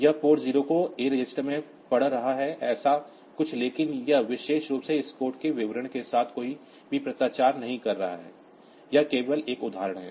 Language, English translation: Hindi, It is reading port 0 into the a register something like that, but that has this particular statement does not have any correspondence with this piece of code it is just an example